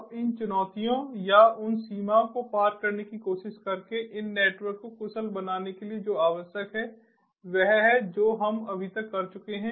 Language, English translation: Hindi, now what is required is to make these networks efficient by trying to overcome these challenges or the limitations that we have just gone through